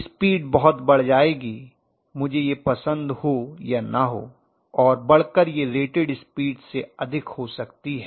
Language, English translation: Hindi, The speed will increase enormously whether I like it or not the speed is going to increase quite a bit